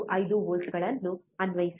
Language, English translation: Kannada, 5 volts first